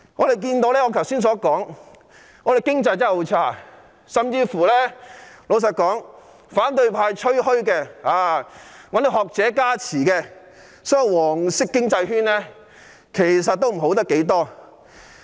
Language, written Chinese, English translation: Cantonese, 正如我剛才說過，現時的經濟非常差，即使是反對派吹噓並找來學者加持的"黃色經濟圈"，其實也好不了多少。, As I said earlier the economy is currently very depressed . Even the yellow economic circle boasted by the opposition camp and with the endorsement of academics is not much better